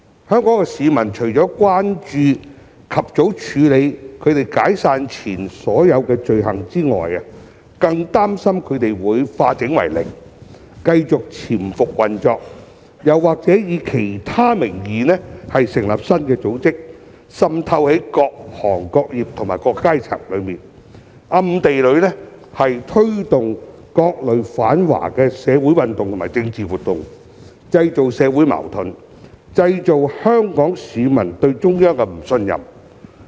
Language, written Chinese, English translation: Cantonese, 香港市民除了關注及早處理它們解散前的所有罪行外，更加擔心它們會化整為零，繼續潛伏運作，又或以其他名義成立新的組織，滲透在各行各業和各階層之中，暗地裏推動各類反華社會運動和政治活動，製造社會矛盾，導致香港市民對中央的不信任。, Apart from their concern about the early handling of all offence cases involving such organizations before their disbandment Hong Kong people are even more worried about the possibility that these organizations would break up into small organizations and continue to operate in a concealed manner or use other names to set up new organizations for infiltration in various trades and industries and different social strata thereby secretly promoting different kinds of anti - China social movements and political activities creating social conflicts and causing Hong Kong peoples distrust towards the Central Authorities